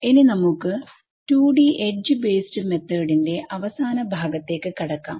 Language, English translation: Malayalam, Right so now we come to the final section on the 2D edge based Finite Element Method